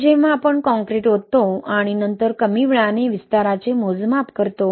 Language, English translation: Marathi, You pour your concrete, right, and then measure the early age expansion